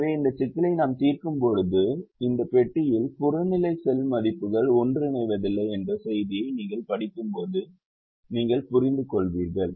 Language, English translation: Tamil, so when we solve this problem you will realize that when in this box you read a message called the objective cell values do not converge, it has not given a solution